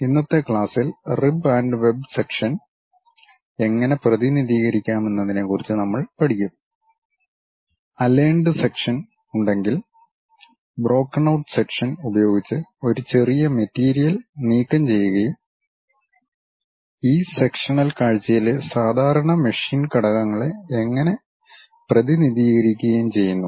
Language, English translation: Malayalam, In today's class, we will learn about how to represent rib and web sections; if there are aligned sections, if there is a small material is removed by brokenout sections and how typical machine elements in this sectional view be represented